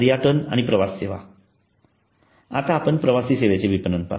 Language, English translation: Marathi, tourism and travel services let us now look at the travel service marketing